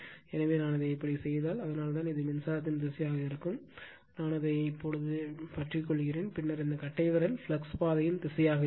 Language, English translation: Tamil, So, if I make it like this, so this that is why this is my the dire[ction] this is the I mean in the direction of the current, you grabs it right, and then this thumb will be your direction of the flux path right